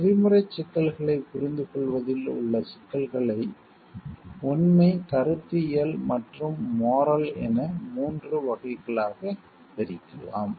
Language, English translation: Tamil, The issues which are involved in understanding ethical problems can be split into 3 categories factual, conceptual and moral